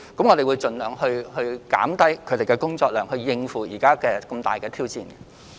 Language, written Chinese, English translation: Cantonese, 我們會盡量減低員工的工作量，以應付目前這個重大挑戰。, We will do our utmost to reduce staff workload in order to cope with this huge challenge